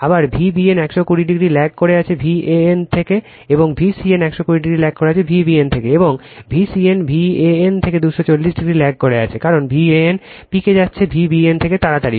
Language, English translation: Bengali, And other way V b n is lagging from V a n by 120 degree, and V c n is lagging from V b n by 120 degree, and V c n is lagging from V n from V n by 240 degree, because this V n is reaching it is peak fast than V b n right